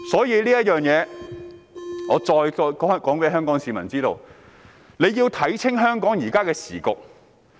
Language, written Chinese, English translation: Cantonese, 因此，我再次公開告訴香港市民，大家要看清楚香港的時局。, Hence I again openly call on members of the Hong Kong public to get a clear picture of the prevailing situation in Hong Kong